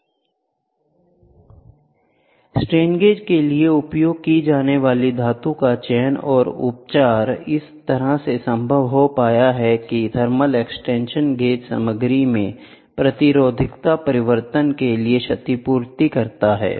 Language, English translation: Hindi, It has been found possible to select and treat metals used for strain gauge in such a way that the thermal expansion is compensates for the resistivity change in the gauge material